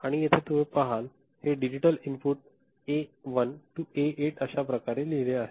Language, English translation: Marathi, And, you see over here it is written in this manner these are digital input A1 to A8 ok